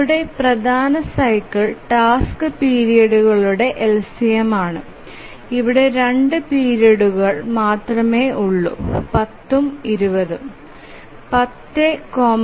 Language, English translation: Malayalam, The major cycle is the LCM of the task periods and here there are only two periods, 10 and 20